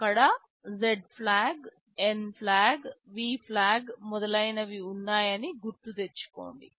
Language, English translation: Telugu, You recall there were Z flag, there were a N flag, there was a V flag and so on